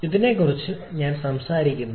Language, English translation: Malayalam, And this is what I am talking about here